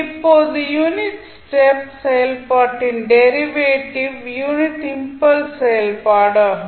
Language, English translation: Tamil, Now, derivative of the unit step function is the unit impulse function